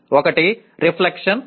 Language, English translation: Telugu, One is reflection